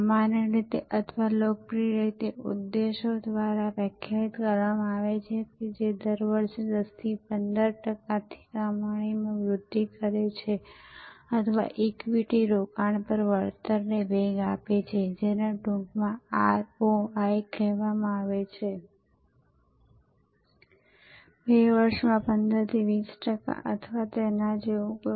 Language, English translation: Gujarati, Normally or popularly, objectives are define like this, that increase earnings growth from 10 to 15 percent per year or boost return on equity investment in short often called ROI, from 15 to 20 percent in 2 years or something like that